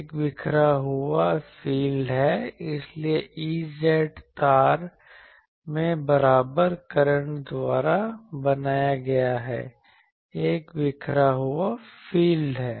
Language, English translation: Hindi, There is a scattered field, so the thing is E z is a scattered field created by the equivalent currents in the wire